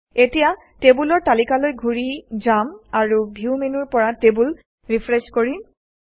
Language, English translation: Assamese, Let us go back to the Tables list and Refresh the tables from the View menu